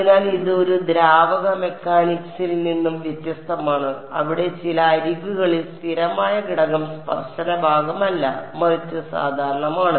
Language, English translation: Malayalam, So, this is in contrast to these fluid mechanics people where there constant component along of certain edges not the tangential part, but the normal thing